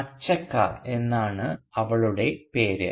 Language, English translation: Malayalam, And her name is Achakka